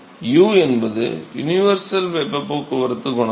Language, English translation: Tamil, So, U is the universal heat transport coefficient